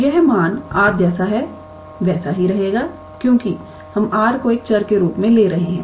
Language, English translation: Hindi, So, this value will remain r as it is, because we are taking r as a variable